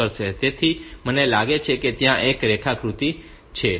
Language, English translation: Gujarati, So, I think there is a diagram